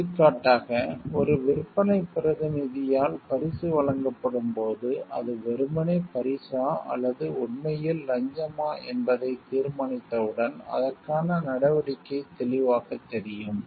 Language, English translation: Tamil, For example, in the case, when a gift is offered by a sales representative, once it is determined whether it is simply a gift or is really a bribe then the appropriate action is obvious